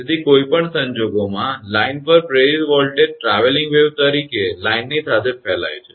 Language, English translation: Gujarati, So, in any case the voltage induced on the line propagates along the line as a traveling wave